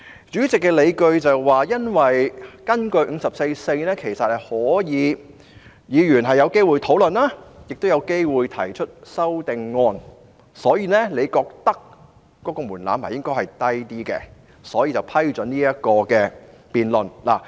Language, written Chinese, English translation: Cantonese, 主席的理據是，根據《議事規則》第544條，其實議員是有機會進行討論，亦有機會提出修正案，他認為這個門檻應該較低，故此批准局長提出議案。, The justification of the President is that pursuant to Rule 544 of the Rules of Procedure Members basically have an opportunity to discuss the Bill and also an opportunity to propose amendments . He thinks that this threshold is lower and thus allows the Secretary to move his motion